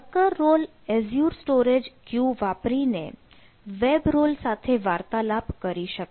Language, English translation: Gujarati, worker role can communicate with web role using azure storage queues